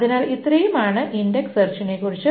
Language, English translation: Malayalam, So, this is about the index search